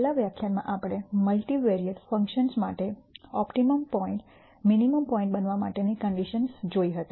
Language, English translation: Gujarati, In the last lecture we saw the conditions for a point to be an optimum point a minimum point for multivariate functions